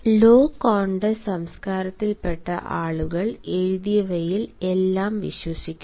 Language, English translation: Malayalam, people of low culture contexts they believe everything in written ones